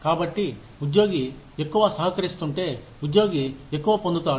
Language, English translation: Telugu, So, if the employee is contributing more, then the employee gets more